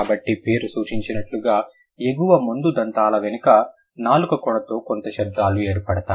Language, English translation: Telugu, So, as the name suggests, the dental sounds are formed with the tongue tip behind the upper front teeth